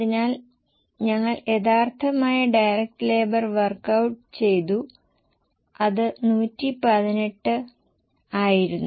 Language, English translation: Malayalam, So, we have worked out the original direct labor which is 118